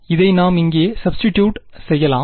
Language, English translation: Tamil, We can just substitute this over here